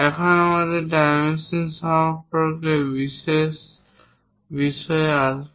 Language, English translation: Bengali, Now, we will come to special issues on dimensioning